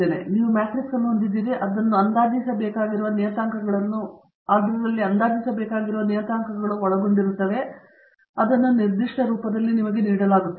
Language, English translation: Kannada, Then you have the b matrix, which again comprises of the parameters to be estimated and it is given in this particular form